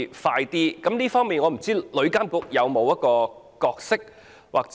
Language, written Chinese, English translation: Cantonese, 在這方面，旅監局有否一個角色？, Should TIA play a role in this regard?